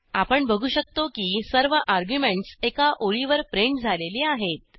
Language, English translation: Marathi, We see that all the arguments are printed on the single line